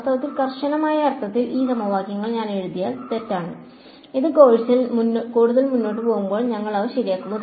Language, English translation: Malayalam, In fact, in the strictest sense these equations that I have written a wrong and we will correct them as we go further in the course this